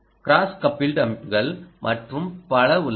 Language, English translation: Tamil, there are cross coupled systems and so on